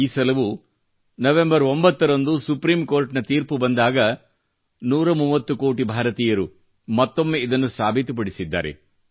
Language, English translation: Kannada, This time too, when the Supreme Court pronounced its judgment on 9th November, 130 crore Indians once again proved, that for them, national interest is supreme